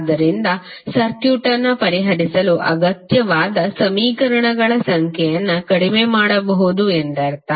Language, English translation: Kannada, So it means that you can reduce the number of equations required to solve the circuit